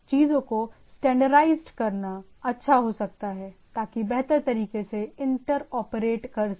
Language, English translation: Hindi, It may be good to have a standardize things so that you can receive you can inter operate in better way